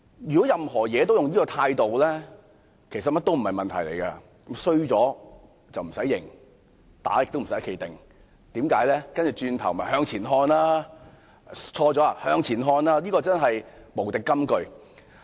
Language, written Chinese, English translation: Cantonese, 如果凡事都採取這種態度，其實甚麼也不成問題，"衰咗唔駛認，打亦唔駛企定"，因為只須向前看，即使出錯也向前看，這真是無敵金句。, If this attitude is adopted in handling every situation there will simply be no problems at all . No one will have to admit his faults or accept punishment because all we have to do is to look forward . Even if mistakes were made we should still look forward